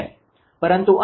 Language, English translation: Gujarati, But here it is 7397